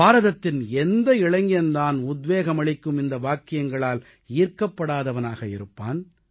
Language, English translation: Tamil, Where will you find a young man in India who will not be inspired listening to these lines